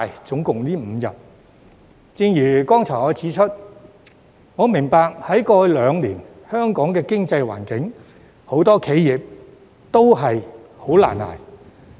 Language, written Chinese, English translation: Cantonese, 正如我剛才指出，我明白過去兩年香港的經濟環境令很多企業難以支撐。, As I have pointed out just now I understand that many enterprises have difficulty in sustaining operation owing to the economic environment in Hong Kong over the past two years